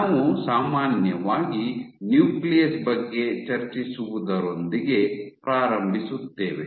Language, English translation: Kannada, So, we begin with discussing the nucleus in general